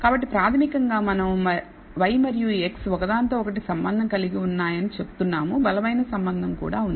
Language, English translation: Telugu, So, basically we are saying y and x are associated with each other also there is a strong association